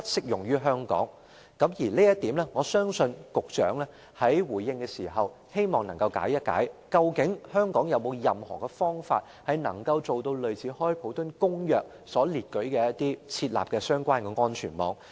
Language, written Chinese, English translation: Cantonese, 而有關這一點，我希望局長在回應時能夠解釋一下，究竟香港能否提供類似《公約》所列舉的相關安全網。, Concerning this I hope the when responding to Members enquiries Secretary can explain whether Hong Kong can provide a safety net similar to those set out in the Convention